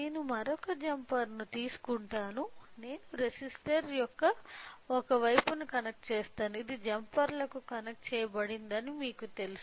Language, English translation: Telugu, I will take another jumper I will connect one side of the resistor which is which are you know connected to the jumpers